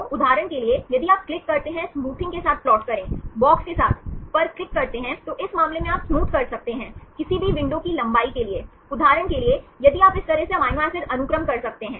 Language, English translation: Hindi, So, for example, if you click on the plot with smoothing with box, in this case you can smooth for any window length, for example, if you can amino acid sequence like this